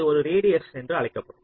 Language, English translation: Tamil, this will define as a radius